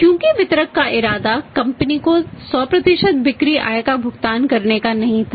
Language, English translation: Hindi, Because distributor’s intention was not to pay 100% sale proceeds back to the company